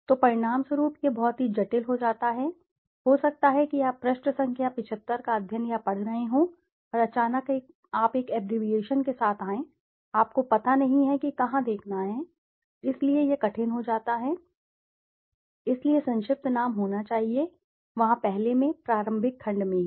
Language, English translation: Hindi, So, as a result it becomes very complex and complicated, maybe you have been studying or reading the page number 75 and suddenly you come with an abbreviation, you don't know where to look for, so that becomes difficult, so abbreviation should be there in the first, in the preliminary section itself